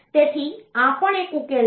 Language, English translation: Gujarati, So, this is also a solution